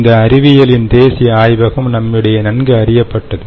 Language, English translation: Tamil, ok, its one of the science national labs in us very well known